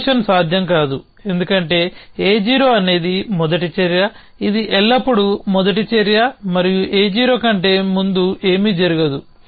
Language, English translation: Telugu, Promotion is not possible, because A 0 is the first action which always the first action an nothing can happen before A 0